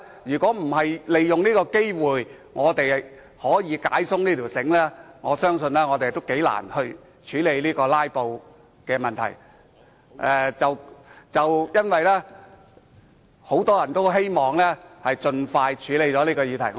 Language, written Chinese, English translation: Cantonese, 如果我們不利用這個機會把繩子鬆開，我相信將很難處理"拉布"的問題，而很多人也希望能夠盡快處理這議題。, If we do not seize this opportunity to untie the noose I trust it will be very difficult to deal with the problem of filibuster in the future . Also many people hope that the issue can be dealt with as soon as possible